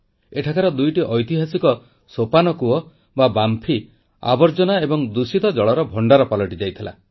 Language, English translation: Odia, There, two historical step wells had turned into storehouses of garbage & dirty water